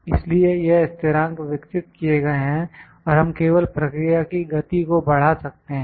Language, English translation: Hindi, So, these constants are developed and we can just speed up the process